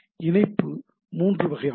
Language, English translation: Tamil, So, three types of link